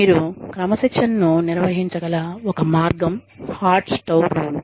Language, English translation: Telugu, A way in which, you can administer discipline, is the hot stove rule